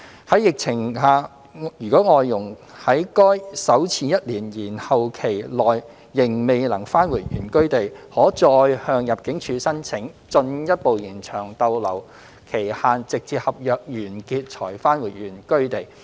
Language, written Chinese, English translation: Cantonese, 在疫情下，如外傭在該首次1年延後期內仍未能返回原居地，可再向入境處申請進一步延長逗留期限直至合約完結才返回原居地。, During the pandemic if an FDH is still unable to return to hisher place of origin within the first one - year deferral heshe may apply to ImmD again for a further extension of limit of stay until the end of the contract before returning to hisher place of origin